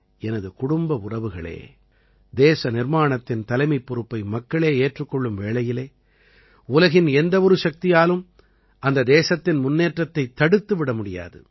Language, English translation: Tamil, My family members, when the people at large take charge of nation building, no power in the world can stop that country from moving forward